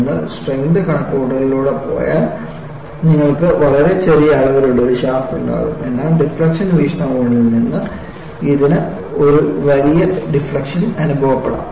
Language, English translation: Malayalam, If you go by the strength calculation, you will have a shaft which is of very small dimension, but from deflection point of view, it may experience the larger deflection